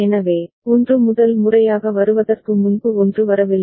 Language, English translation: Tamil, So, 1 has not come before 1 is coming for the first time right